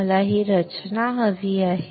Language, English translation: Marathi, I want this structure